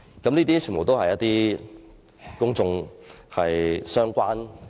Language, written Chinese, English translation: Cantonese, 全部都與公眾息息相關。, All these issues are closely related to the public